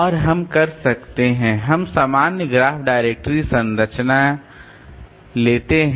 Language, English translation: Hindi, And we can we can have the general graph directory structure